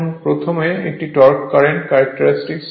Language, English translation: Bengali, Now, first is a torque current characteristic